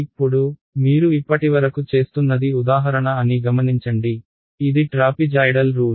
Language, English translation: Telugu, Now, so you notice one thing that what we were doing so far is for example, this was trapezoidal rule